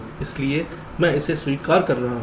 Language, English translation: Hindi, so i am accepting this